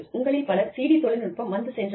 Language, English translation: Tamil, Many of you, may have seen, the CD industry, come and go